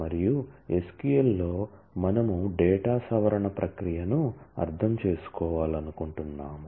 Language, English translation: Telugu, In SQL and we would like to understand the process of data modification